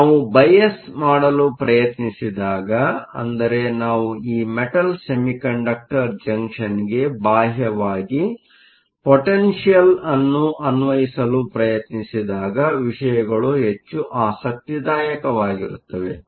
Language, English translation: Kannada, Now, things become more interesting when we try to bias, so when we try to apply an external potential to this metal semiconductor junction